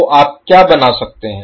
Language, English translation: Hindi, So what you can create